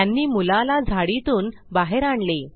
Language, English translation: Marathi, They carry the boy out of the bush